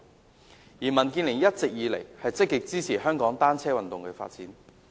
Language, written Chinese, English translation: Cantonese, 民主建港協進聯盟一直以來積極支持香港單車運動的發展。, The Democratic Alliance for the Betterment and Progress of Hong Kong DAB has always actively supported the development of the cycling sport in Hong Kong